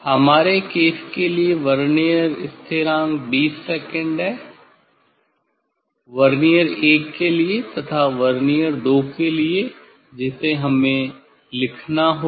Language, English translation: Hindi, for our case the vernier constant is 20 second for vernier 1 as well as for Vernier 2 that we have to note down